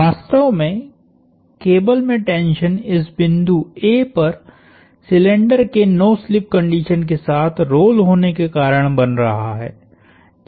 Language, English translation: Hindi, The tension in the cable is essentially causing the cylinder to roll with no slip at the point A